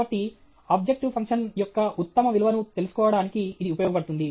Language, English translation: Telugu, So, this can be used to find out the best value of objective function